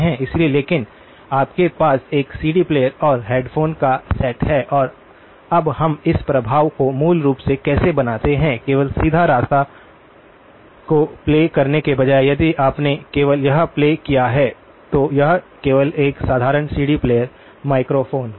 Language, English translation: Hindi, So but all you have is a CD player and set of headphones and now how do we create this effect so basically, instead of playing only the direct path see if you played only this that will be just a simple CD player microphone